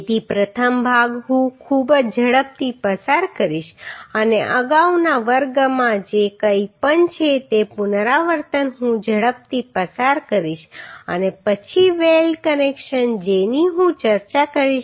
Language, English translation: Gujarati, So first part I very quickly I will go through very quickly and the repetition whatever is there with the previous class I will just quickly go through and then the weld connection what I discuss asap